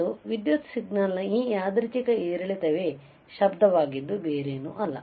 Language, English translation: Kannada, And this random fluctuation of the electrical signal is nothing but your called noise all right